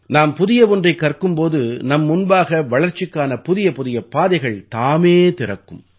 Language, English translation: Tamil, When we learn something new, doors to new advances open up automatically for us